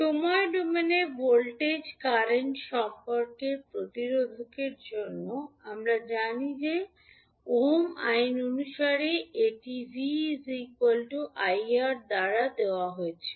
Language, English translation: Bengali, So, for resistor the voltage current relationship in time domain we know that it is given by v is equal to I into r that is as per ohms law